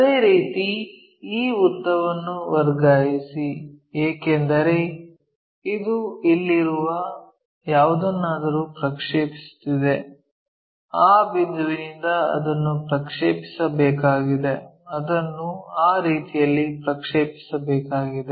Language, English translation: Kannada, Similarly, transfer this length, because it is projecting onto a thing here something like that, that we have to project it all the way from this point so, project it in that way